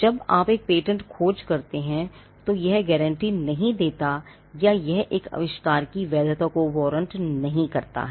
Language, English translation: Hindi, When you do a patentability search, when you do a search, it does not guarantee or it does not warrant the validity of an invention